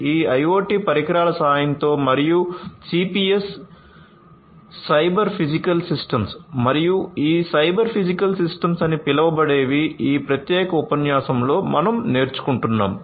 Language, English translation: Telugu, These are going to be done with the help of these IoT devices and something called CPS Cyber Physical Systems and these Cyber Physical Systems is what we are going to go through in this particular lecture